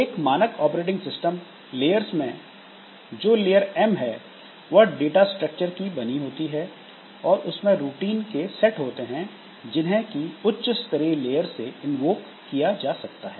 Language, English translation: Hindi, So, a typical operating system layers, so at layer M it consists of data structures and a set of routines that can be invoked by higher level layers